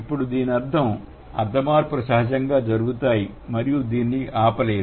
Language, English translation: Telugu, So, now that means, semantic changes happen and it happens naturally, you cannot stop it